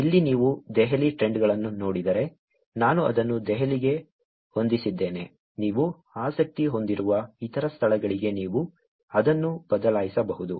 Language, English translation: Kannada, Here if you see Delhi trends, I have set it for Delhi you can actually change it for other locations that you may be interested in